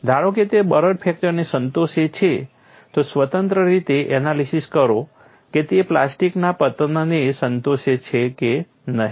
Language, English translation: Gujarati, Suppose it satisfies the brittle fracture independently analyzed whether it satisfies plastic collapse